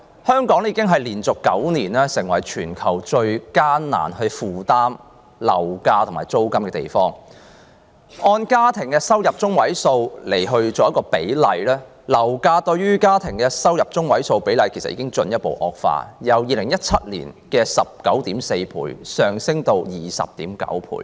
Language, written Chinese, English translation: Cantonese, 香港已經連續9年成為全球最難負擔樓價和租金的城市，按家庭入息中位數計算，樓價對家庭入息中位數比率已進一步惡化，由2017年的 19.4 倍上升至 20.9 倍。, Hong Kong has been the most unaffordable housing market in the world in terms of both prices and rents for nine consecutive years . The property price to median household income ratio has risen further from 19.4 in 2017 to 20.9 today